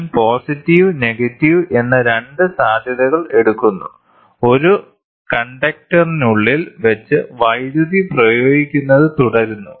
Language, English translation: Malayalam, I take 2 potentials may be positive, negative, put it inside a container and keep applying electricity